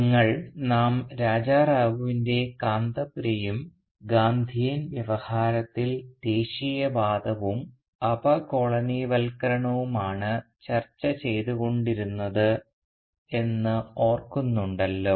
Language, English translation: Malayalam, Now as we remember we are reading Raja Rao’s Kanthapura vis a vis the Gandhian discourse of nationalism and decolonisation